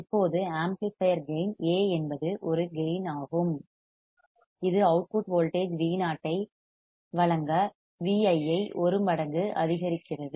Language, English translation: Tamil, Now, the amplifier gain that is A gain that is it amplifies the Vi by A times to give output voltage Vo